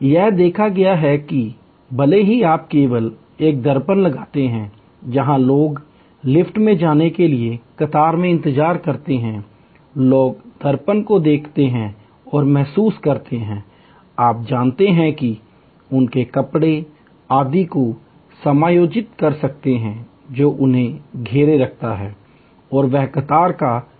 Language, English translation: Hindi, It has been observe that, even if you just put a mirror, where people wait to in queue to get in to the elevator, people look in to the mirror and feel, you know adjust their dresses, etc, that keeps them occupied and that queue is better managed